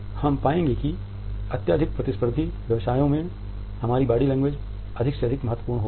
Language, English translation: Hindi, We would find that in our highly competitive professions body language has become more and more important